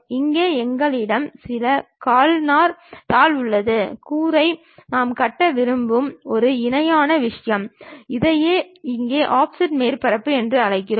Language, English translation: Tamil, Here, we have some asbestos kind of sheet, the roof a parallel thing we would like to construct, that is what we call offset surfaces here also